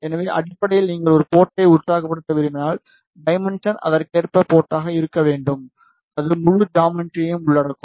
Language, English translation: Tamil, So, basically when you want to excite a port, the dimension correspondingly port should be such that that it should cover the whole geometry